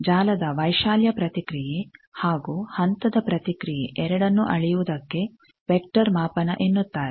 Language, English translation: Kannada, Now, what is vector measurement measuring both amplitude response and phase response of a network is called vector measurement